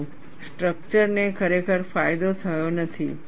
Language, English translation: Gujarati, But it does not really benefited the structure